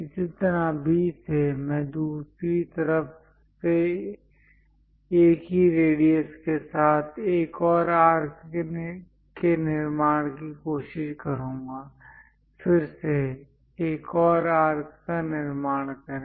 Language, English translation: Hindi, Similarly, from B, I will try to construct on the other side one more arc with the same radius from A; again, construct another arc